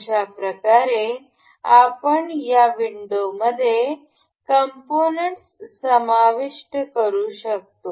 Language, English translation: Marathi, So, in this way we can insert components in this window